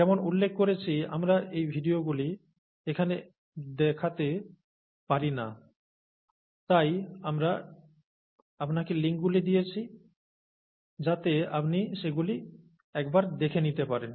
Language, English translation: Bengali, As I mentioned, we cannot play these videos here, therefore we have given you the links so that you can go and take a look at them